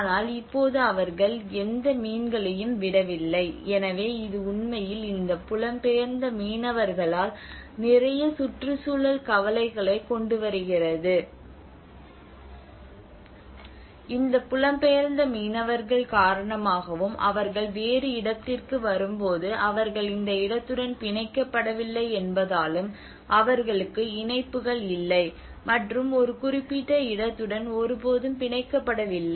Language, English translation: Tamil, But now they are not leaving any more fish, so that is actually bringing a lot of environmental concerns especially with these migrant fishermen, and because when they are coming in different place they are not tied to this place they are not their attachments are never tied to a particular place